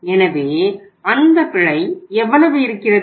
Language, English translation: Tamil, So how much that error is there